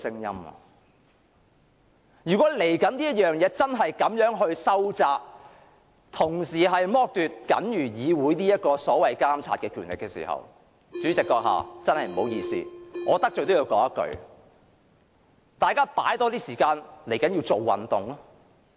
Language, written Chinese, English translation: Cantonese, 如果稍後真的這樣收窄《議事規則》，剝奪議會僅餘的監察權力，主席閣下，真的不好意思，我得罪也要說一句，大家要花多些時間做運動。, If RoP is indeed tightened in such a way later stripping the Council of its only remaining power of monitoring President really sorry even if it may offend you I must say that we have got to spend more time doing exercise